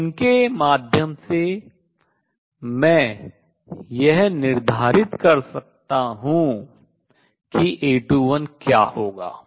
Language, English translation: Hindi, So, through these I can determine what A 21 would be